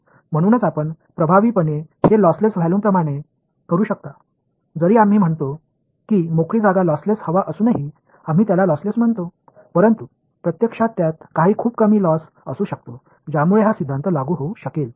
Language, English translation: Marathi, So, that you can effectively treat it like a lossless volume ok; even though we say free space is lossless right even air we say its lossless, but actually there might be some really tiny amount of loss in it which allows this theorem to be applicable question